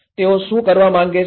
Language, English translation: Gujarati, What they want to do